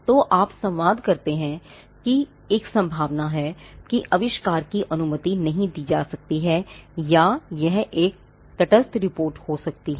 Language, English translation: Hindi, So, you communicate that there is a possibility that the invention may not be granted, or it could be a neutral report